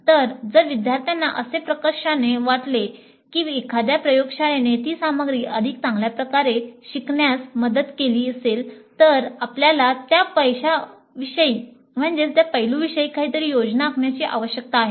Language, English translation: Marathi, So if the students strongly feel that a laboratory would have helped in learning that material better, then we need to plan something regarding that aspect